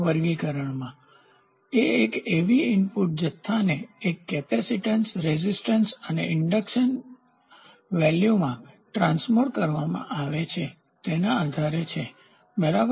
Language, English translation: Gujarati, The classification is based on how the input quantity is transduced into a capacitance resistance and inductance value, ok